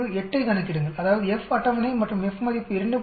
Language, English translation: Tamil, 438 that is the F table and F value is 2